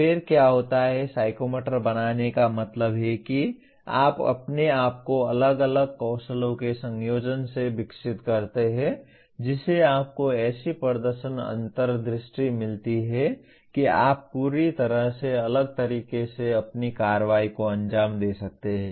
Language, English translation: Hindi, Then what happens psychomotor creating means you yourself develop by combining different skills you get such a performance insight that you are able to execute your action in completely different way